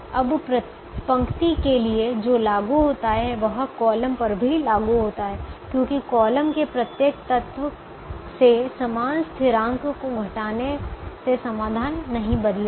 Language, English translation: Hindi, now what is applicable to the row is also applicable to the column, because subtracting the same constant from every element of the column will not change the solution